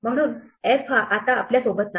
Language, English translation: Marathi, So, we do not have f with us anymore